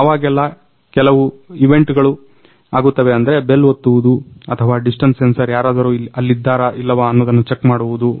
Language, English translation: Kannada, Now whenever some event is happening like pressing a bell or distance sensor checking if someone is there or not